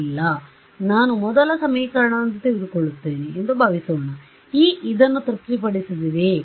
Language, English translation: Kannada, No right supposing I take the first equation what E satisfies this